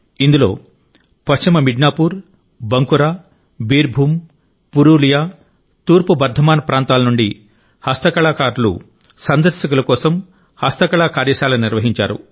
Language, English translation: Telugu, The Handicraft artisans from West Midnapore, Bankura, Birbhum, Purulia, East Bardhaman, organized handicraft workshop for visitors